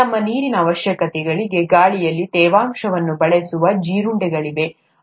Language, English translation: Kannada, There are beetles which use moisture in the air for their water requirements